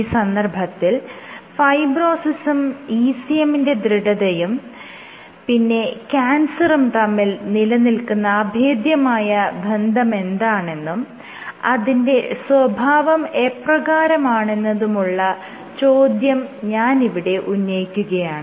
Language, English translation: Malayalam, So, the question I framed was what is the relationship between fibrosis, ECM stiffness and cancer, what is the nature of the relationship